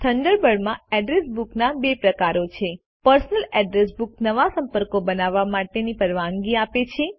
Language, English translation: Gujarati, There are two types of Address Books in Thunderbird: Personal address book allows you to create new contacts